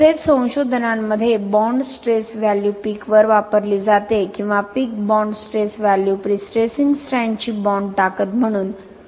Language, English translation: Marathi, Also researches have used bonds stress value at the peak or peak bond stress value will be taken as bond strength of prestressing strand in the concrete